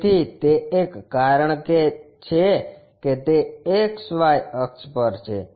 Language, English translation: Gujarati, So, that is a reason it is on XY axis